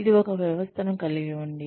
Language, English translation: Telugu, It has a system in place